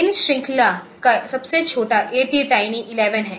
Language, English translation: Hindi, Smallest of this series is a tie ATTiny11, ok